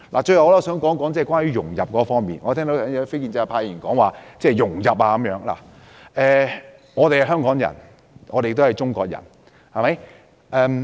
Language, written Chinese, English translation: Cantonese, 最後，我想談談融入方面，我剛才聽到有非建制派議員提到融入，我們是香港人，也是中國人。, Last but not least I wish to talk about integration . I heard just now a non - establishment Member mention integration . We are Hong Kong people but we are also Chinese people